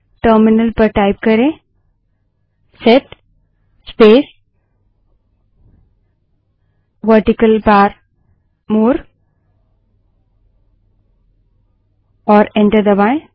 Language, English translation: Hindi, Type at the terminal set space pipeline character more and press enter